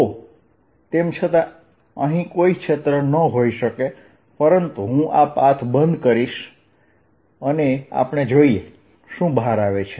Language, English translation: Gujarati, ok, so, although they may not be any field out here, but i'll make this path closed and let us see what does it come out to be